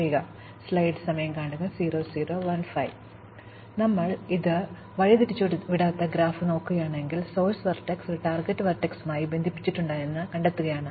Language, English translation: Malayalam, So, if we look at undirected graph, the problem we are looking at is to find out, whether a source vertex is connected to a target vertex